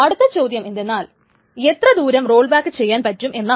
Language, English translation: Malayalam, The next question comes is how far to roll back